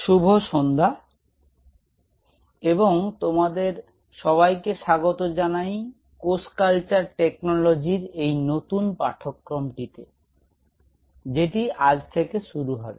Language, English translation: Bengali, Good evening, and welcome you all to this new course which will be starting today on cell culture technology